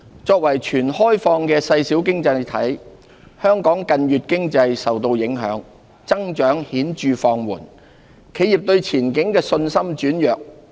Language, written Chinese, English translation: Cantonese, 作為全開放的細小經濟體，香港近月經濟受到影響，增長顯著放緩，企業對前景的信心轉弱。, As a small and totally open economy Hong Kong has been susceptible to economic headwinds over the past few months as evidenced by notable slackening growth and diminishing confidence of enterprises in the future outlook